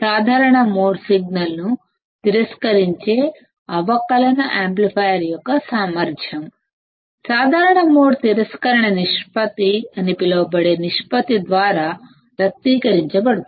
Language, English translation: Telugu, The ability of a differential amplifier to reject common mode signal is expressed by a ratio called common mode rejection ratio